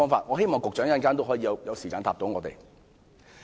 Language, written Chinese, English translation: Cantonese, 我希望局長稍後花時間回答我們。, I hope the Secretary will later spend some time answering this question